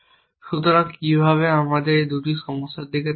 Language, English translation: Bengali, So, how so let us look at these 2 problems